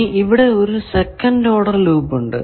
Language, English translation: Malayalam, Then, there is second order loop